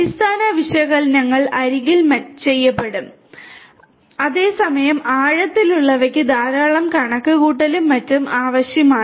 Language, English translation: Malayalam, Basic analytics will be done at the edge whereas the deeper ones which require a lot of computation and so on